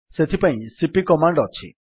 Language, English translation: Odia, For this we have the cp command